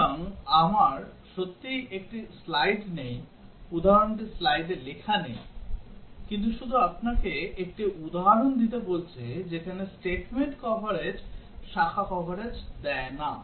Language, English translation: Bengali, So, I do not really have a slide, the example is not written there in the slide, but just asking you to give an example where statement coverage does not give branch coverage